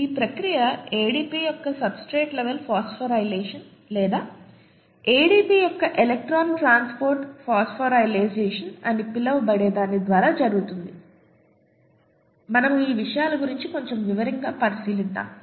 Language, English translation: Telugu, And this process happens through what is called a substrate level phosphorylation of ADP or an electron transport phosphorylation of ADP, we will look at a little bit in detail about these things